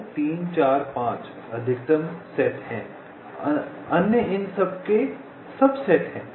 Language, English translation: Hindi, two, three, five is also proper subset